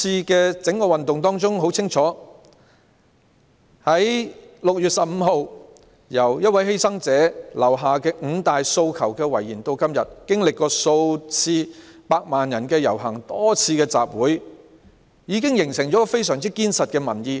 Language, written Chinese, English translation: Cantonese, 在整個運動中，由6月15日第一位犧牲者留下"五大訴求"的遺言至今，經歷了數次百萬人遊行及多次集會，已經形成非常緊實的民意。, In the movement since 15 June when the first person who sacrificed his life said five demands as his last words there have been a few marches participated by millions of people and a number of assemblies so peoples views have been discernibly reflected